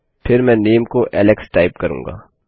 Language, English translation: Hindi, Then Ill type my name is Alex